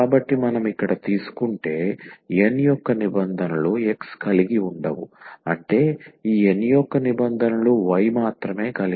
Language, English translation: Telugu, So, the terms of N if we take here containing not containing x meaning that terms of this N which contains only the y